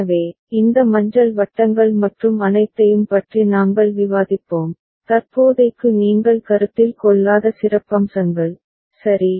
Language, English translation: Tamil, So, we will discuss about these yellow circles and all, the highlights that you do not consider for the time being, ok